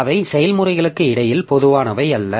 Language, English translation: Tamil, So, they are not common between the processes